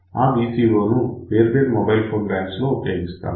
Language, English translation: Telugu, So, we had use that VCO for different bands of mobile phone